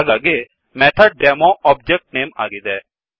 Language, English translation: Kannada, So MethodDemo object name